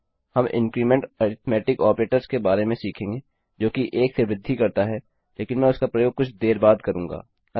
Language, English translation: Hindi, Well learn about the increment arithmetic operator which increments by 1 but Ill use that a little later